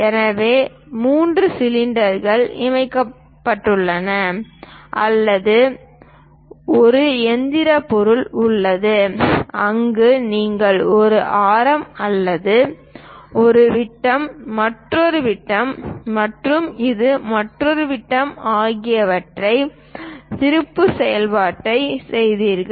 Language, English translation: Tamil, So, there are 3 cylinders connected with each other or a single machine object, where you made a turning operation of one radius or one diameter, another diameter and this one is another diameter